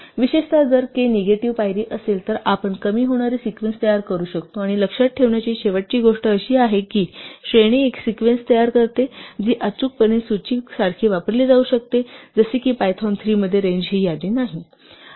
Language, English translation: Marathi, In particular, if k is a negative step then we can produce decreasing sequences, and the last thing to remember is though range produces a sequence which can be used exactly like a list in things like for, in Python 3 a range is not a list